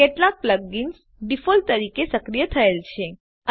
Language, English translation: Gujarati, Some plug ins are activated by default